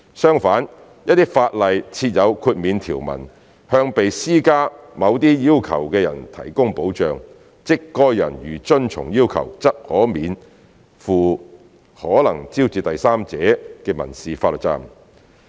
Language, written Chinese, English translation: Cantonese, 相反，一些法例設有豁免條文，向被施加某些要求的人提供保障，即該人如遵從要求，則可免負可能招致對第三者的民事法律責任。, Instead there are immunity clauses for protecting persons who comply with certain requirements imposed on them from potential civil liability owed to third parties